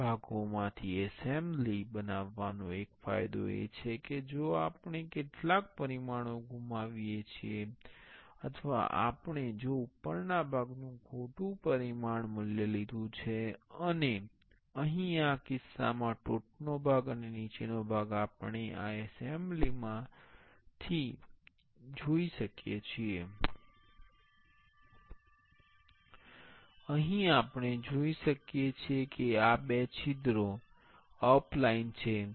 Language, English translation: Gujarati, One advantage of making assembly from parts is if we miss some dimension or we if we ended a wrong dimension value of the top part, and here in this case top part and the bottom part we can see from this assembly